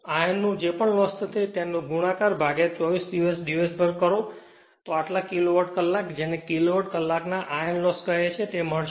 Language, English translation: Gujarati, Whatever iron loss will be there, multiply by 24 throughout the day this much of kilowatt hour your what you call in terms of kilowatt hour iron loss we will get